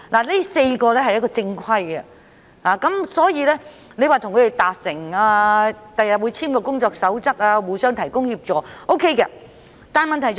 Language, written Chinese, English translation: Cantonese, 這4家是正規的機構，所以當局與他們達成共識，日後會草擬一份工作守則，互相提供協助，這樣也是可行的做法。, As these four are official associations it will be a feasible approach for the authorities to reach a consensus with them and draw up a code of practice in the future so that the two sides can provide assistance to one another